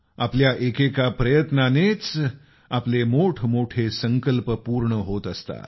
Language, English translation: Marathi, Every single effort of ours leads to the realization of our resolve